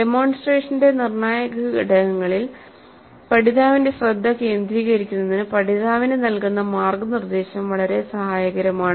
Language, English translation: Malayalam, Now learner guidance is quite helpful in making learner focus on critical elements of the demonstration